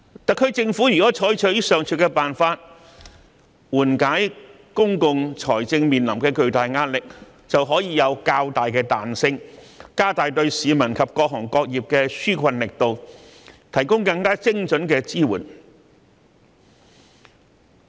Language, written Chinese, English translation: Cantonese, 特區政府如能採取上述辦法緩解公共財政面臨的巨大壓力，便可擁有較大彈性，加大對市民及各行各業的紓困力度，提供更精準的支援。, If the SAR Government can adopt such measures to relieve the immense pressure on public finance it will have greater flexibility in stepping up its efforts to provide relief to the public and various trades and sectors with greater precision